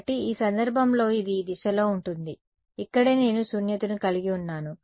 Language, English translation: Telugu, So, in this case it will be this direction right here I have a null